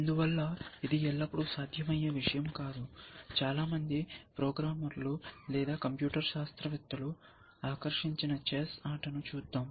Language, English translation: Telugu, And why is that not always a feasible thing, let us look at the game of chess, which is been the game, which has fascinated most programmers or computer scientist essentially